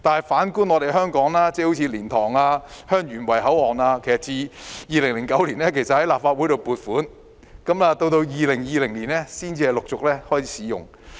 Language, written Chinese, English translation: Cantonese, 反觀香港，例如蓮塘/香園圍口岸於2009年獲立法會撥款興建，直至2020年才陸續開始使用。, Look at Hong Kong . The funding for LiantangHeung Yuen Wai Control Point was approved by the Legislative Council in 2009 . It was not until 2020 that the control point gradually came into service